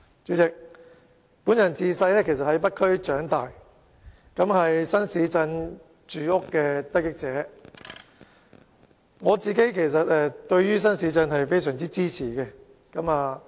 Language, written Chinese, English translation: Cantonese, 主席，本人其實自小在北區長大，是新市鎮房屋的得益者，所以對於發展新市鎮是非常支持的。, President I grew up in the North District and have benefited from the housing development of new towns . I therefore strongly support the development of new towns